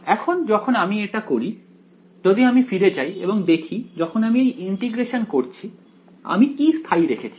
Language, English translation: Bengali, Now, when I am doing this if we go back to this when I am doing this integration over here what am I holding fixed